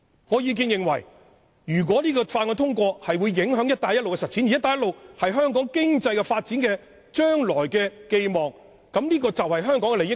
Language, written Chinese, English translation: Cantonese, 我認為《條例草案》一旦通過，會影響"一帶一路"的實踐，而"一帶一路"是香港未來經濟發展的寄望，關乎香港的利益。, Once the Bill is passed I think it will affect the implementation of the Belt and Road Initiative . The Belt and Road Initiative is our hope for promoting the future development of Hong Kongs economy which concerns the interests of Hong Kong